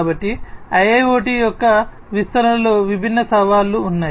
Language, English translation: Telugu, So, there are different challenges in the deployment of IIoT